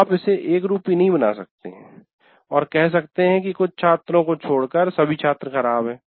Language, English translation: Hindi, You cannot make it stereotype and say, anyway, all students are bad, with the exception of a few students